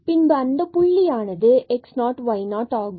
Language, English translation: Tamil, So, this x is 0 and then we have y is equal to 0